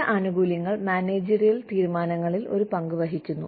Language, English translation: Malayalam, Certain benefits play a part in, managerial decisions